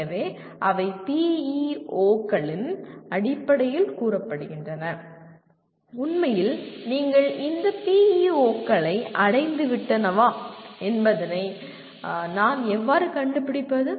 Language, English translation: Tamil, So they are stated in terms of PEOs saying that how do I find out whether they are actually that you have attained these PEOs